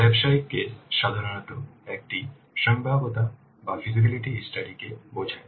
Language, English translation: Bengali, Business case normally it refers to feasible study